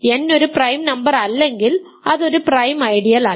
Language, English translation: Malayalam, If n is a prime number its a prime ideal if n is not a prime number its not a prime ideal